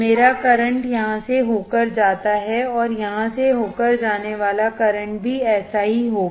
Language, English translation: Hindi, My current through here, and that current through here would be same